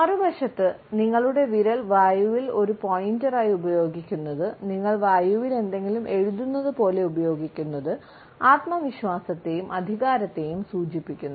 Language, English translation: Malayalam, On the other hand, using your finger as a pointer in the air, as if you are writing something in the air, indicates a sense of confidence and authority